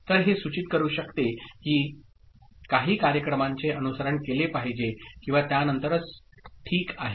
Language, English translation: Marathi, So, that could indicate that certain events are to follow or just after that, ok